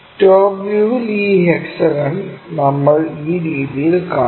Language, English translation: Malayalam, So, in the top view, we will see this hexagon in that way